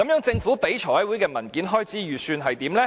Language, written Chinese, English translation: Cantonese, 政府向財委會提交的文件開支預算是怎樣的呢？, So actually what was the expenditure estimated in the document submitted by the Government to the Finance Committee?